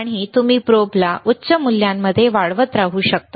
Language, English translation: Marathi, And you can keep on increasing the this probe to higher values